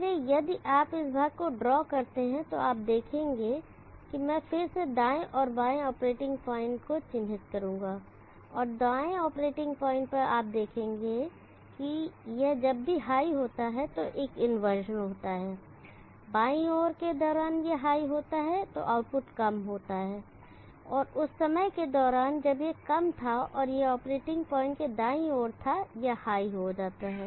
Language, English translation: Hindi, So if you drop that portion you will see that I will again mark left and right left operating point, and right operating point, you will see that there is an inversion whenever it is high during the left side it is high output will be low, and during the time when it was low and it was right side of the operating point it becomes high